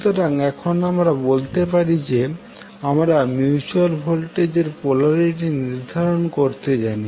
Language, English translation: Bengali, So now we can say that we know how to determine the polarity of the mutual voltage